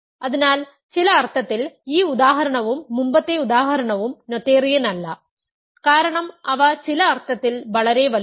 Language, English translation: Malayalam, So, in some sense, this example as well as the previous example are not noetherian because, they are too big in some sense